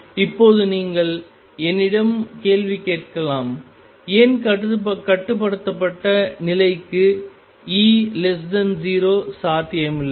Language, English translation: Tamil, Now you may ask let me ask the question: why is E less than 0 not possible for bound state